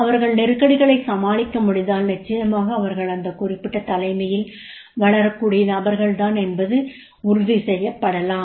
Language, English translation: Tamil, If they are able to coping with the pressure, then definitely they are the persons, those who can be developed in particular leaderships